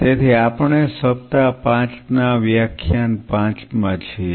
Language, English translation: Gujarati, So, we are into week 5 lecture 5